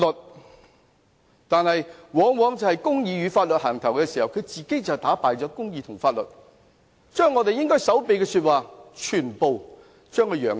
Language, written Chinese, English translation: Cantonese, 他們往往打着公義與法律的旗號，自己卻打敗公義和法律，將我們應該守秘的說話全部宣揚出去。, They are the ones who defy justice and law under the banner of fighting for justice and law and have made known all the information that we should supposedly keep confidential